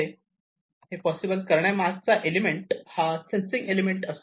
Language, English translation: Marathi, So, how it is possible the core element for making it possible is the sensing element